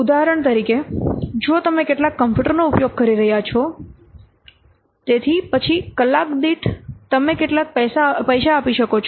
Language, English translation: Gujarati, For example, if you are using what some computer, so then per hour you may give some money